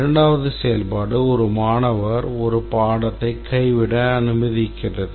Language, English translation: Tamil, Second function can be allows a student to drop a course